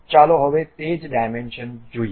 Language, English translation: Gujarati, Now, let us see of the same dimensions